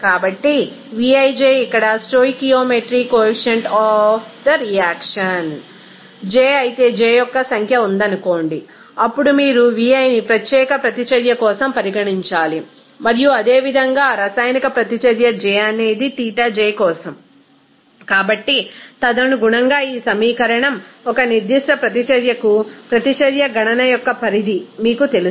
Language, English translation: Telugu, So, vij here stoichiometry coefficient of the reaction here j if there is j number of reactions are there, then you have to consider that vi for particular reaction and similarly the extent of reaction for that reaction j will be denoted by Xij